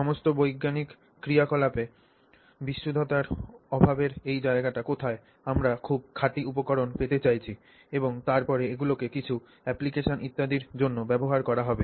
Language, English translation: Bengali, So, where is this scope for lack of purity that comes in in all scientific activity we are looking at you know getting very pure materials and then using them for some application and so on